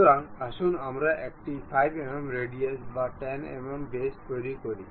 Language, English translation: Bengali, So, let us construct a 5 mm radius or 10 mm diameter